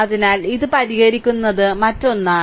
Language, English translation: Malayalam, So, this is another one this will solve